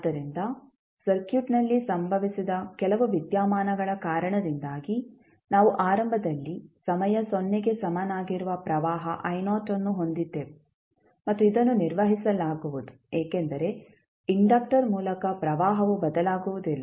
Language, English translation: Kannada, So, because of some phenomena which was happened in the circuit we were having initially the current flowing I naught at time equal to 0 and this will be maintained because the current through the inductor cannot change